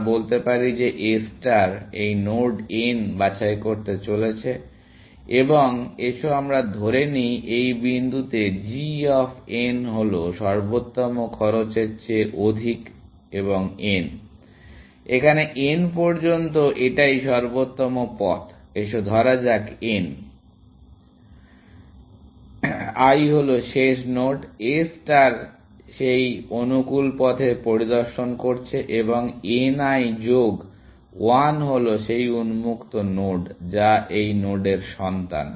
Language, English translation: Bengali, And let us say that A star is about to pick this node n, and let us assume that at point, g of n is more than the optimal cost, and let n l be the; so, this optimal path to n, let us say it is this, and n l is the last node, A star has inspected on that optimal path, and n l plus one is the node which is on open, which is child of this node